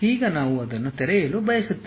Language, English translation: Kannada, Now, we would like to open it